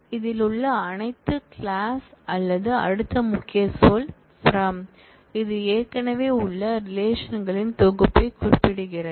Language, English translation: Tamil, The next clause or the next keyword in this is from, which specifies a set of existing relations